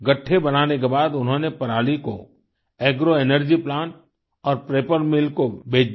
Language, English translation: Hindi, After having made the bundles, he sold the stubble to agro energy plants and paper mills